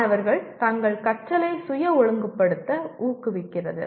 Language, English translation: Tamil, Encourages students to self regulate their learning